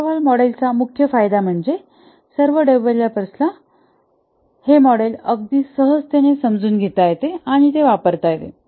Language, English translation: Marathi, The main strengths of the waterfall model is it is very intuitive, easy to understand